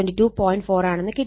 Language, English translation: Malayalam, 4, so it will be 1